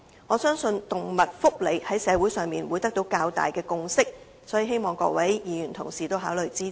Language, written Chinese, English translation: Cantonese, 我相信動物福利在社會上會得到較大的共識，所以希望各位議員考慮支持。, I trust that animal welfare should be able to foster greater consensus in society so I hope Members will consider supporting my amendment